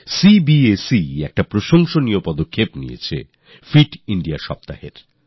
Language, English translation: Bengali, CBSE has taken a commendable initiative of introducing the concept of 'Fit India week'